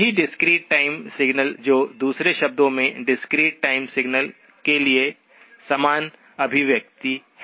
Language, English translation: Hindi, The same discrete time signal that is in other words the same expression for the discrete time signal